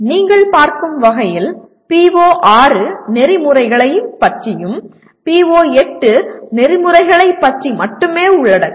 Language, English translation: Tamil, As you see the PO6 also talks about Ethics and PO8 is exclusively on Ethics